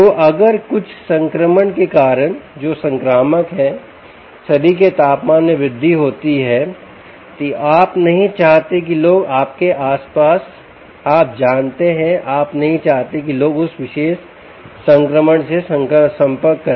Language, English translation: Hindi, so if there is a rise in body temperature due to some infection which is contagious, you dont want people to be a people around you to start you know, having you know, you dont want people to contact that particular infection